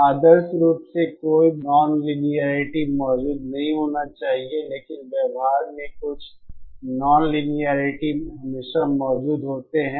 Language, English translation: Hindi, Ideally no non militaries should be present, but in practice some non linearities always present